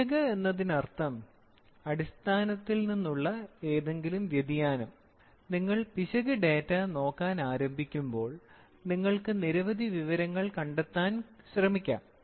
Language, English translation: Malayalam, Error means, any deviation from the standard from the basic is called as an error and when you start looking at the error data, you can try to find out many information’s